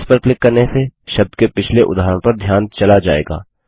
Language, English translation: Hindi, Clicking on Previous will move the focus to the previous instance of the word